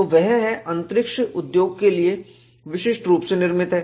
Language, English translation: Hindi, So, that was tailor made to space industry